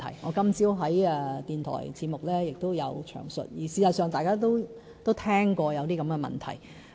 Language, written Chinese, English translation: Cantonese, 我今天早上在電台節目中亦有詳述，而事實上，大家都聽過有這些問題。, In the radio programme this morning I talked about these problems in detail . In fact Members may also have heard of these problems